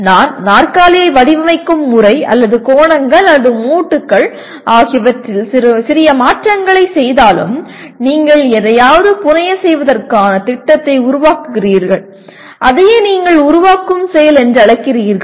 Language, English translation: Tamil, Even if I make small changes, the angles or the joints or the way I design the chair it becomes that means you are creating a plan to fabricate something and that is what do you call is a create process